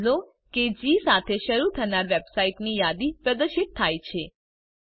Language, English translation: Gujarati, * Notice that a list of the websites that begin with G are displayed